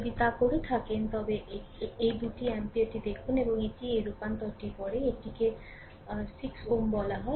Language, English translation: Bengali, If you do so, look these two ampere, and this is your what you call this is your 6 ohm right, this 12 after this transformation